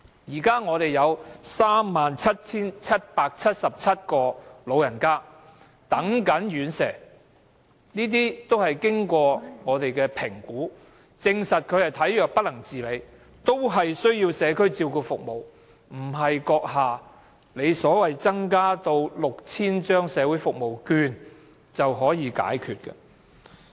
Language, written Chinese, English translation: Cantonese, 現時有37777個長者正在輪候院舍，他們全是經過評估，證實是體弱不能自理，需要社區照顧服務，不是閣下所說增加6000張社會服務券便能解決。, At present 37 777 elderly people are awaiting residential care services . They have all undergone assessment and are proven to be infirm lacking self - care ability and in need of community care services . Such service needs cannot be met simply by increasing the number of Community Care Service Voucher for the Elderly to 6 000